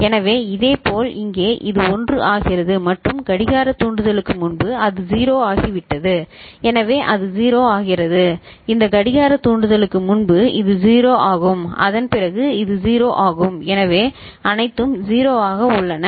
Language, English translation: Tamil, So, similarly over here this becomes 1 and just before clock trigger you see it has become 0, so it becomes 0, before this clock trigger this is 1, after that it is all 0 so there are all 0